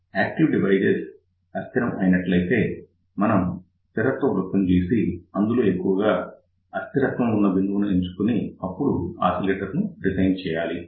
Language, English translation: Telugu, And if the device is unstable, in that particular case we will draw input stability circle and choose a point which is most unstable and then we design oscillator